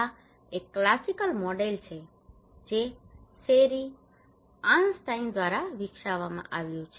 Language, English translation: Gujarati, This is one of the classical model developed by Sherry Arnstein